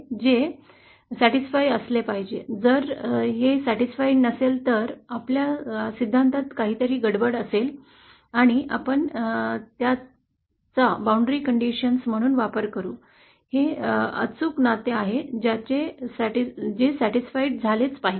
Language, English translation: Marathi, This must be satisfied, if this is not satisfied then there must be something wrong with our theory & we shall use it as a boundary condition, this is an exact relationship which must be satisfied